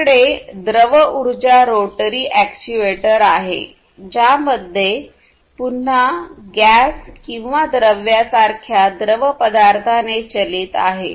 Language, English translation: Marathi, Then you have fluid power rotary actuator again powered by fluid such as gas liquids and so on